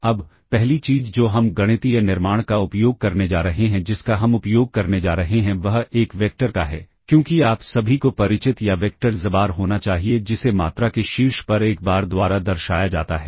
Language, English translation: Hindi, Now, the first thing that we are going to use the mathematical construct that we are going to use is that of a vector, as you must all be familiar or vector xbar which is denoted by a bar on the top of the quantity